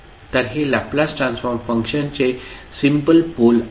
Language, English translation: Marathi, So, these are the simple poles of the Laplace Transform function